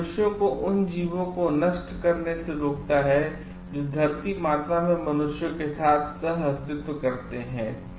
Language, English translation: Hindi, It restricts humans from destroying other creatures that coexisted with humans in the mother earth